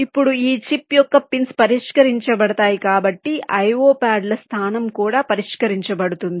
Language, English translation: Telugu, now, because the pins of this chip will be fixed, the location of the i o pads will also be fixed